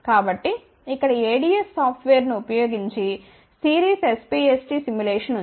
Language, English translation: Telugu, So, here is a Series SPST simulation using ADS software